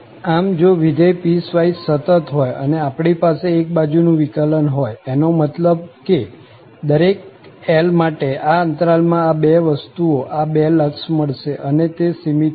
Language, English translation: Gujarati, So, if the function is piecewise continuous and have one sided derivatives, that means these two numbers, these two limits exist, for each L in these respective intervals and they are finite